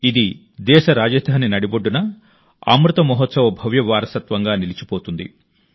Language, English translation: Telugu, It will remain as a grand legacy of the Amrit Mahotsav in the heart of the country's capital